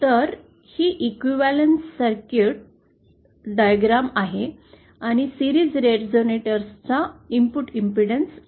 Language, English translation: Marathi, So, this is the equivalent circuit diagram and the input impedance of a series resonator